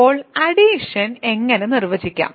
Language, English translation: Malayalam, So, how do we define addition